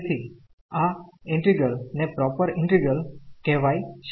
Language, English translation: Gujarati, So, this integral is also proper integral